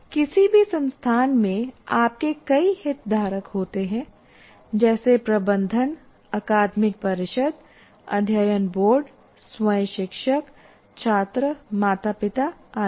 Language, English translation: Hindi, In any institute you have several stakeholders, like starting with the management, and then you have academic council, you have boards of studies, then you have the teachers themselves, students, parents and so on